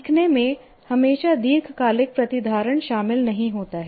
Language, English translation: Hindi, Learning does not always involve long term retention